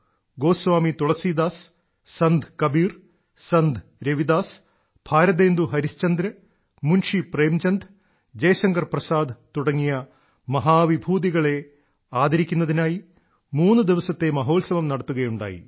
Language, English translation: Malayalam, A threeday Festival was organized in honour of illustrious luminaries such as Goswami Tulsidas, Sant Kabir, Sant Ravidas, Bharatendu Harishchandra, Munshi Premchand and Jaishankar Prasad